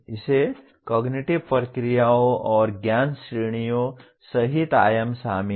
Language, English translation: Hindi, It has dimensions including Cognitive Processes and Knowledge Categories